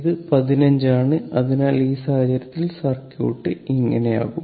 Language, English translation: Malayalam, It is 15, so in this case what will happen the circuit will be like this